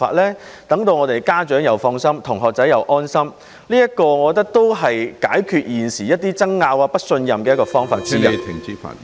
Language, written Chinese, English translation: Cantonese, 此舉能讓家長放心，也讓同學安心，亦是解決現時一些爭拗和不信任的方法之一......, This is not only a way to set the minds of parents and students at ease but also a means to address the current disputes and distrust